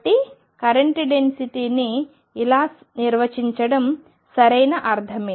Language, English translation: Telugu, So, it makes perfect sense to define current density like this